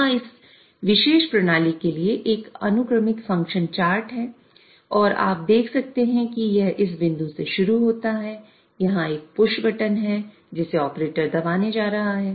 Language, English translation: Hindi, So, here is a sequential function chart for this particular system and you can see that it starts with this point where there is a push button which the operator is going to push